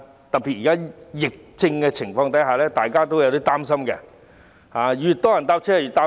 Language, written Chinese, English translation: Cantonese, 特別在現時疫情之下，大家也有點擔心，越多人乘車就越擔心。, Under the pandemic at present in particular everyone is a little worried . The more people they ride with the more worried they are